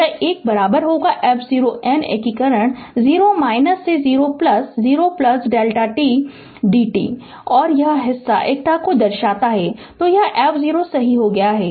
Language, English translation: Hindi, This one is equal to your f 0 then integration 0 minus to 0 plus delta t d t right and this part is unity, so it is become f 0 right